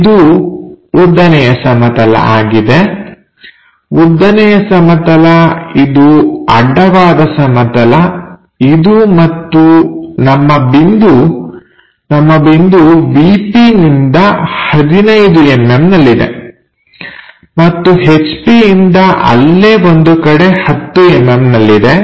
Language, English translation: Kannada, This is the vertical plane, vertical plane, horizontal plane, and our point, our point is 15 mm from the VP somewhere here, and 10 mm from HP somewhere there, 10 mm 15 mm somewhere there